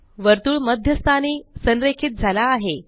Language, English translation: Marathi, The circle is aligned to the centre position